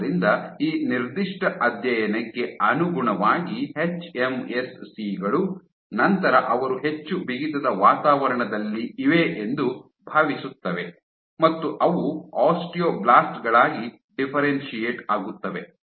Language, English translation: Kannada, So, consistent with this particular study, so hMSCs then would think that they are in a more stiff environment and they will differentiate into osteoblasts